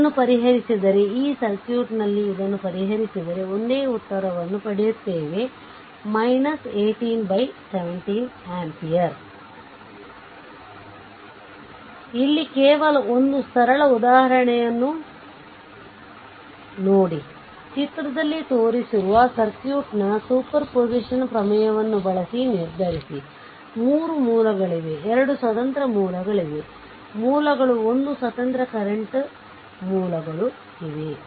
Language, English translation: Kannada, If you solve this one this circuit you will get the same answer minus 18 upon 17 ampere right just one here see one more simple example, determine i using superposition theorem of the circuit shown in figure; there are 3 sources 2 independent voltage sources one independent current sources right